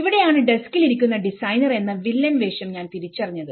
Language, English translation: Malayalam, So, here that is where I say that I realized a villainís role as a designer sitting in my desk